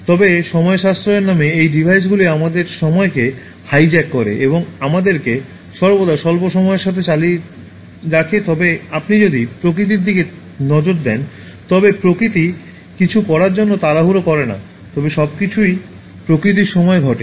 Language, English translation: Bengali, But in the name of saving time, these devices they hijack our time and always keep us running short of time, but if you look at nature, nature does not hurry to do anything, but everything happens in nature in time